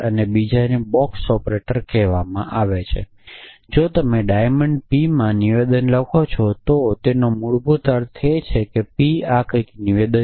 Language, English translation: Gujarati, And the other is called a box operator and if you write a statement in diamond p it basically means that p is some statement like this